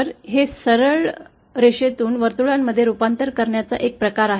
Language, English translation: Marathi, So, it is a kind of conversion from straight lines to circles